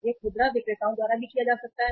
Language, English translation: Hindi, It can be done by the retailers also